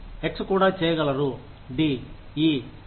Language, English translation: Telugu, X could also do, D, E, and F